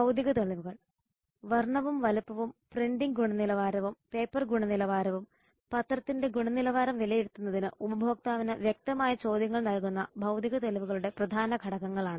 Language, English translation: Malayalam, the physical evidence color size printing quality and paper quality are the major elements of physical evidence which provide tangible ques to consumer for judging newspaper quality